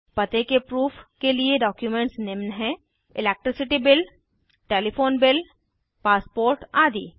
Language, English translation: Hindi, Documents for proof of address are Electricity bill Telephone Bill Passport etc